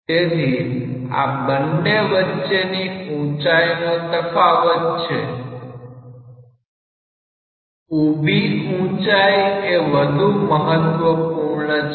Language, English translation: Gujarati, So, this difference in the height between 1 and 2 vertical height is that what is important